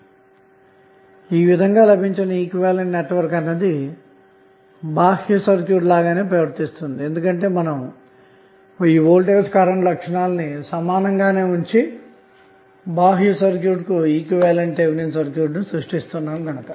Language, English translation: Telugu, Now this equivalent network will behave as same way as the external circuit is behaving, because you are creating the Thevenin equivalent of the external circuit by keeping vi characteristic equivalent